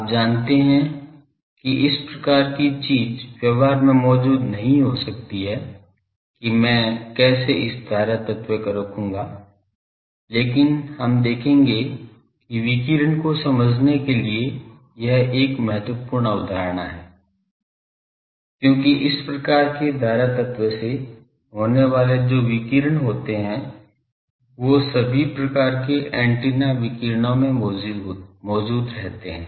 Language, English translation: Hindi, You know that these type of thing cannot exist in practice that how I will put these current element, but we will see that to understand radiation this is a vital concept, because the radiation that takes place from this type of current element that is present in all types of antenna radiations